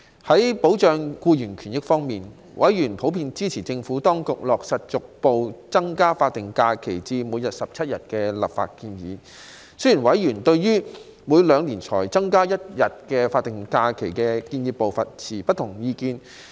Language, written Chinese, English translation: Cantonese, 在保障僱員權益方面，委員普遍支持政府當局落實逐步增加法定假日至每年17日的立法建議，但委員對於每兩年才增加一日法定假日的建議步伐，持不同意見。, On safeguarding employees rights and benefits members were generally in support of the Administrations implementation of the legislative proposal to increase progressively the number of statutory holidays SHs to 17 days yet members had divergent views on the proposed pace of increasing one day of SH every two years in a progressive manner